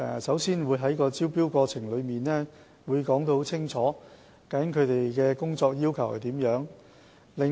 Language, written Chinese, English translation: Cantonese, 首先，我們在招標過程中清楚說明其工作要求。, First we have clearly stated our work requirements in the tendering process